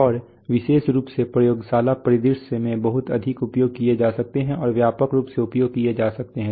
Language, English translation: Hindi, And especially can be used in a very much in a laboratory scenario and widely used